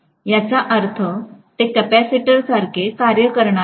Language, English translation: Marathi, Which means it is going to work like a capacitor